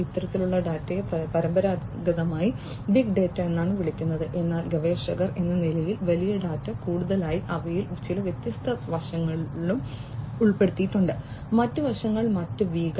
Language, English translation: Malayalam, These kind of data traditionally were termed as big data, but as researchers you know what with big data more and more they also included few more different other aspects; other aspects other V’s in fact